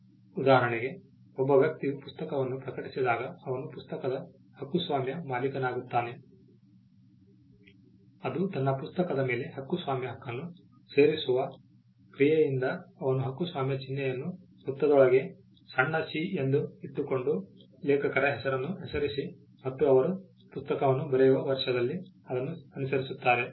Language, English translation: Kannada, For instance a person publishes the book when he publishes a book he becomes the copyright owner of the book by a mere act of adding the copyright claim on his book he just puts the copyright symbol which is a small c within a circle © and writes his name the authors name and followed its by the year in which he writes the book